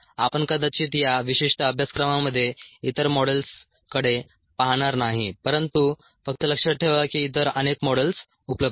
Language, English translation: Marathi, we will probably not look at other models in this particular course, but just remember that any other models are available